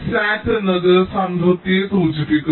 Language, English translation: Malayalam, sat stands for satisfiability